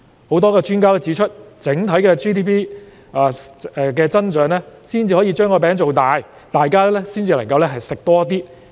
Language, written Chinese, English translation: Cantonese, 許多專家均指出，整體 GDP 有所增長才可以把"餅"造大，大家方能多吃一點。, As pointed out by many experts an overall GDP growth will make the pie bigger thus allowing everyone to get a bigger share